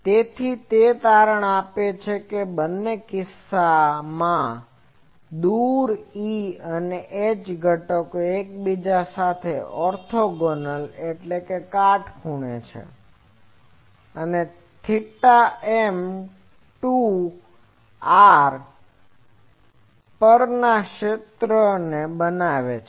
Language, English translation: Gujarati, So, it turns out that in both the cases the far E and H components are orthogonal to each other and form TM to r type of fields or mods model fields